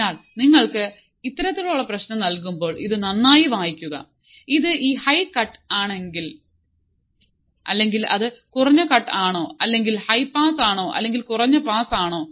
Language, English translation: Malayalam, So, when you are given this kind of problem just read it thoroughly, if it is this high cut or is it low cut or is it high pass or is it low pass